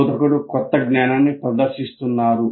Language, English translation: Telugu, The instructor is demonstrating the new knowledge